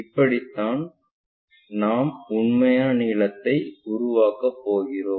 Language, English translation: Tamil, This is the way we construct this true length